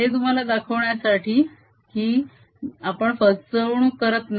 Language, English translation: Marathi, just to show you that we did not really cheat